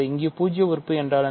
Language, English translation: Tamil, What is the zero element